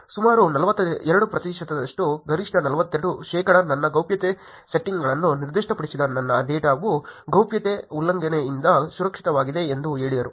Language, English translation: Kannada, About 42 percent, the highest was about 42 percent who said that specified my privacy settings my data is secured from a privacy breach